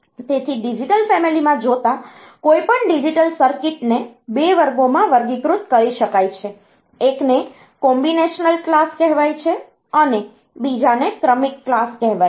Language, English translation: Gujarati, So, looking into the digital family, any Digital Circuit it can again be classified into 2 classes; one is called the combinational class and the other one is the Sequential class